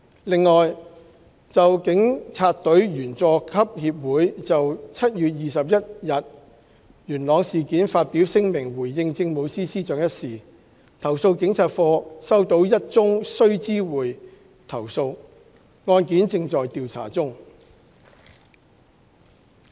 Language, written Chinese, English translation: Cantonese, 另外，就警察隊員佐級協會就7月21日元朗事件發表聲明回應政務司司長一事，投訴警察課收到1宗須知會投訴，案件正在調查中。, Besides with regard to the Junior Police Officers Association issuing a statement in response to the Chief Secretary in respect of the 21 July incident in Yuen Long CAPO has received a notifiable complaint and investigation is underway